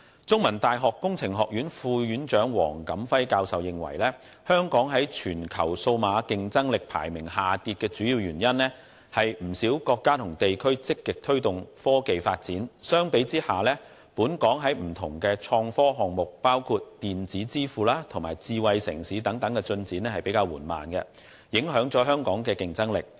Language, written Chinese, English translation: Cantonese, 中文大學工程學院副院長黃錦輝教授認為，香港在全球數碼競爭力排名下跌的主要原因，是不少國家和地區積極推動科技發展，相比之下，本港在不同的創科項目，包括電子支付及智慧城市等方面的進展比較緩慢，影響了香港的競爭力。, According to Prof WONG Kam - fai Associate Dean Faculty of Engineering of the Chinese University of Hong Kong the main reason for the decline of Hong Kongs ranking in global digital competitiveness is that many countries and regions are actively promoting technology development . On the contrary Hong Kongs progress in various innovation and technology projects such as electronic payment and smart city development is relatively slow which affected the competitiveness of Hong Kong